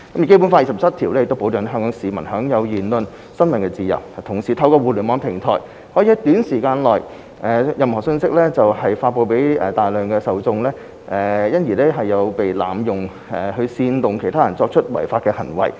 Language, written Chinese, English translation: Cantonese, 《基本法》第二十七條保障了香港居民享有言論和新聞自由，但同時透過互聯網平台可以在短時間內將任何信息發布給大量受眾，因而被濫用去煽動他人作出違法行為。, Article 27 of the Basic Law has ensured the enjoyment of the freedom of speech and of the press by Hong Kong residents . At the same time however any message could be disseminated rapidly through the Internet platform to a large number of recipients . It has been abused to incite others to act against the law